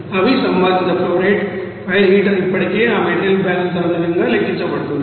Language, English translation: Telugu, And they are respective flow rate that fire heater is already calculated based on that material balance